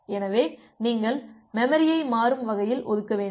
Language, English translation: Tamil, So, you have to dynamically allocate the memory